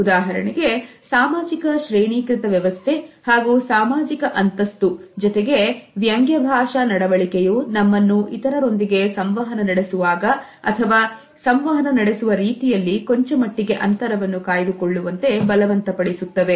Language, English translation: Kannada, For example, the social hierarchy, and the social status and at the same time certain ironical linguistic behavior which compel that we maintain a certain way of distance and certain way of communication